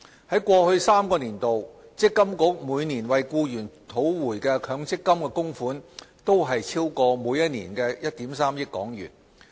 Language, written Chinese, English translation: Cantonese, 在過去3個年度，積金局每年為僱員討回的強積金供款均超過1億 3,000 萬港元。, The amount of MPF contributions recovered by MPFA on behalf of employees was over 130 million for each of the past three years